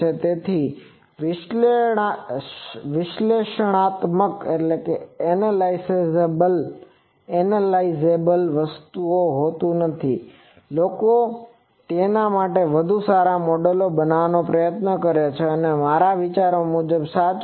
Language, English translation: Gujarati, So, that is why always it is not analyzable people try to have better and better models for that that is true for anyway I think